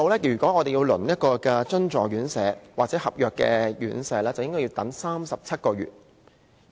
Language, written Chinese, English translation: Cantonese, 要輪候津助院舍或合約院舍，需要等37個月。, It takes 37 months to be allocated a place in subsidized or contract RCHEs